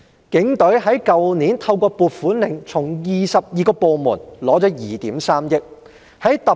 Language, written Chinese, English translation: Cantonese, 警隊去年透過"撥款令"，從22個部門獲得2億 3,000 萬元撥款。, Last year the Police Force received a total funding of 230 million from 22 departments by way of allocation warrants